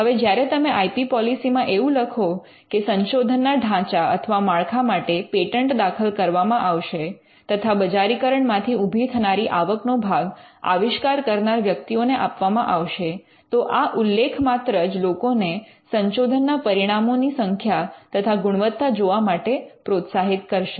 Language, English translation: Gujarati, Now, when you mention in the IP policy that patents will be filed for trestles of research, and when they are commercialized the revenue will be shared with the inventors, then that itself becomes an incentive for people to look at the quality and the quantity of their research out